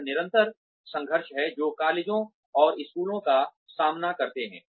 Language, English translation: Hindi, This is the constant struggle, that colleges and schools face